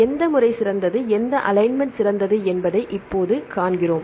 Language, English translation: Tamil, Now we see which method is the good which alignment is the best